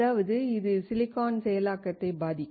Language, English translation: Tamil, That means, it will affect the processing of silicon